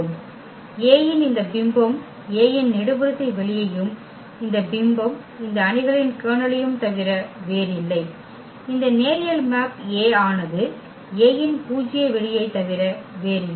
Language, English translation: Tamil, And this image of A is nothing but the column space of A and this image the kernel of this matrix this linear mapping A is nothing but the null the null space of A